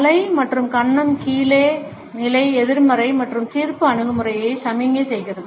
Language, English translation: Tamil, The head and chin down position signals a negative and judgmental attitude